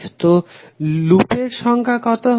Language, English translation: Bengali, So how many loops are there